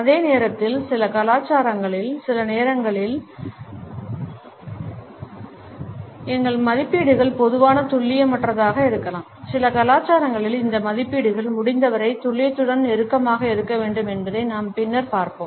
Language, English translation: Tamil, And at the same time sometimes in certain cultures our estimates can be normally imprecise whereas, in some cultures as we will later see these estimates have to be as close to precision as possible